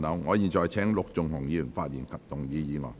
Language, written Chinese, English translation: Cantonese, 我現在請陸頌雄議員發言及動議議案。, I now call upon Mr LUK Chung - hung to speak and move the motion